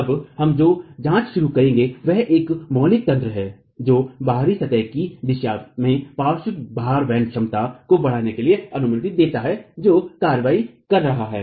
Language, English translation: Hindi, What we now will start examining is one fundamental mechanism that allows for augmentation of the lateral load carrying capacity in the out of plane direction which is arching action